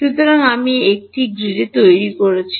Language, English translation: Bengali, So, I make a grid